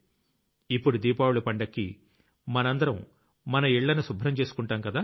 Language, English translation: Telugu, Now, during Diwali, we are all about to get involved in cleaning our houses